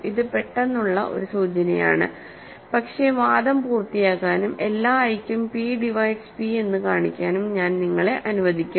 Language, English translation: Malayalam, So, this is a quick hint, but I will let you finish the argument and show that p divides p choose i for all i